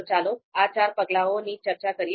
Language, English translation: Gujarati, So let’s talk about these four steps